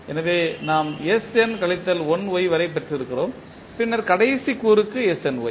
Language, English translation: Tamil, So, we have got up to sn minus 1Y and then snY for the last component